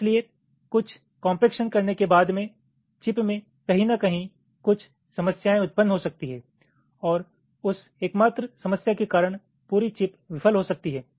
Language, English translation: Hindi, so after doing some compaction, well, there might be some problems arising somewhere in the chip and because of that single problem the entire chip might fail